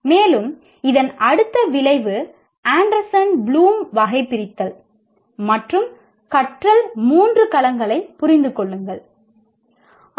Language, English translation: Tamil, And next outcome of this is understand the Anderson Bloom taxonomy and the three domains of learning